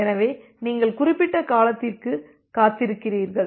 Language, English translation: Tamil, So, you wait for certain duration